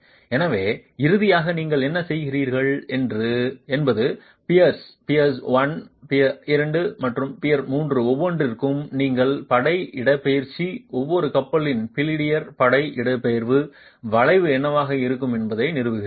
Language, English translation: Tamil, So finally what you are doing is for each of the peers, peer one, peer two and peer three, you are establishing what will be the force displacement, the bilinear force displacement curve of each peer